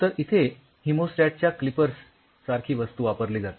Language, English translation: Marathi, Now, you take a hemostat kind of things clippers